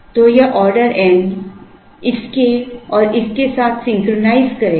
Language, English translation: Hindi, So, this order n will synchronize with this and this